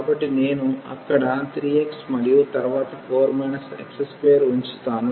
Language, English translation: Telugu, So, I will put 3 x there and then 4 minus x square